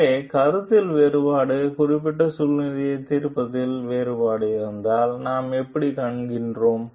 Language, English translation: Tamil, So, what we find like if there is a difference in opinion, difference in judging particular situation